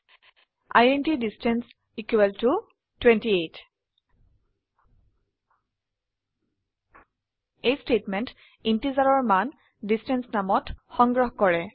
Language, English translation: Assamese, int distance equal to 28 This statement stores the integer value in the name distance